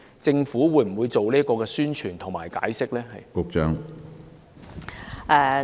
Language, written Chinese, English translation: Cantonese, 政府會否進行有關的宣傳和解釋？, Will the Government conduct such promotion and explanation?